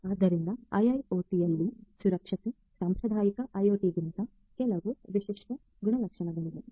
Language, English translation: Kannada, So, security in IIoT, there are certain distinguishing characteristics over the traditional IoT